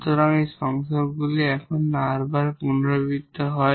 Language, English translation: Bengali, So, these conjugates are repeated r times now